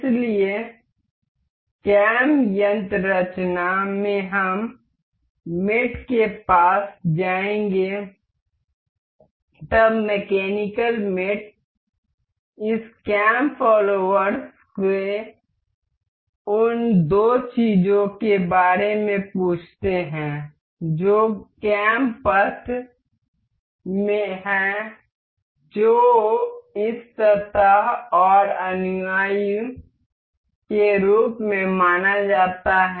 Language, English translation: Hindi, So, in the cam mechanism we will go to mate, then mechanical mates this cam this cam follower asks of the two things that is cam path that is supposed to be this surface and the follower